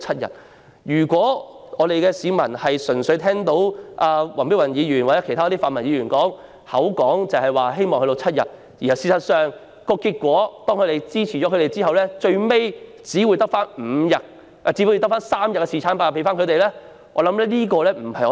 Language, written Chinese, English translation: Cantonese, 如果市民聽到黃碧雲議員或其他泛民議員說希望侍產假可以增至7天後予以支持，但最終卻只維持3天侍產假，我相信這不是他們所想的。, If members of the public listened to and supported the proposal put forward by Dr Helena WONG or other pan - democratic Members to increase the paternity leave to seven days it is possible that the relevant leave may remain at three days in the end which I do not think is what they desire